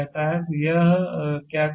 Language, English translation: Hindi, So, what it states